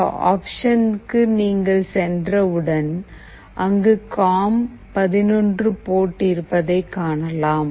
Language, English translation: Tamil, Once you go to this option you will find this port com11 here